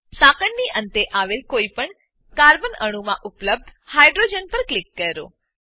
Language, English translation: Gujarati, Click on hydrogen on any of the carbon atoms present at the end of the chain